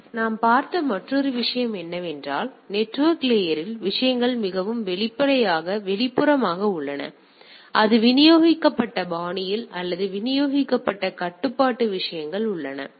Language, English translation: Tamil, So, another thing what we have seen that on the network layer onwards the things are more externally or what we say in a more in a distributed fashion or distributed control things are there right